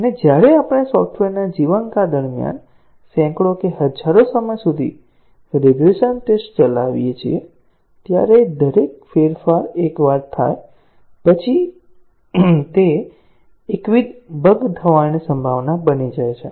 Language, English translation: Gujarati, and when we run a regression test hundreds or thousands of time during the lifetime of the software, after each change occurs once then, it becomes monotonous error prone